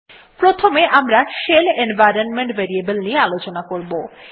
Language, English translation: Bengali, The first environment variable that we would see is the SHELL variable